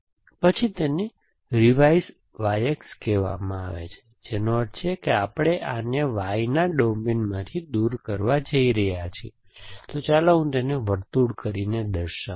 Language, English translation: Gujarati, Then that is called revise Y X, which means we are going to throw this away from the domain of Y, so let me actually circle it